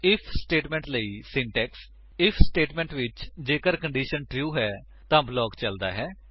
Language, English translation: Punjabi, Syntax for If statement In the if statement, if the condition is true, the block is executed